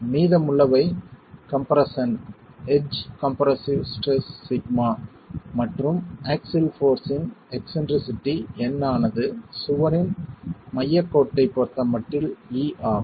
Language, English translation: Tamil, The rest is in compression, edge compressive stress sigma and the eccentricity of the axial force resultant N is e with respect to the centre line of the wall itself